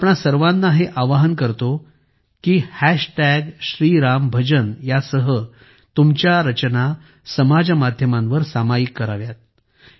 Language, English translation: Marathi, I request you to share your creations on social media with the hashtag Shri Ram Bhajan shriRamBhajan